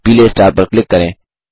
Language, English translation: Hindi, Click on the yellow star